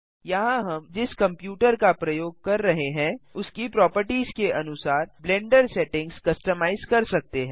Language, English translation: Hindi, Here we can customize the Blender settings according to the properties of the computer we are using